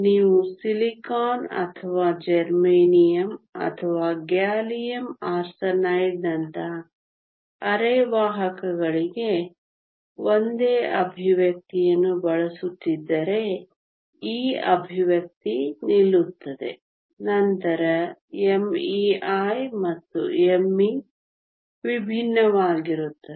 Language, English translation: Kannada, This expression will stand if you are using the same expression for semiconductors like silicon or germanium or gallium arsenide then m e star and m e are different